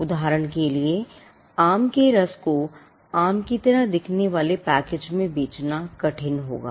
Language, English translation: Hindi, For instance, it will be hard for somebody to sell mango juice in a package with is which looks like a mango